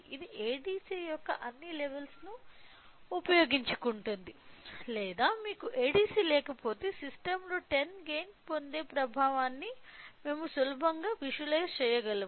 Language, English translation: Telugu, So, that it utilises all the levels of ADC or even if you do not have an ADC we can easily visualize the effect of having a gain of 10 in to the system